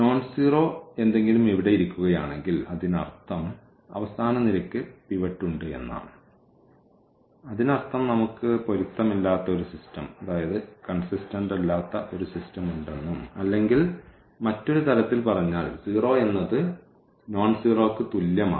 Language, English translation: Malayalam, And, if something nonzero is sitting here; that means, the last column has pivot last column has a pivot meaning that we have an inconsistent system and or in other words we have 0 is equal to something nonzero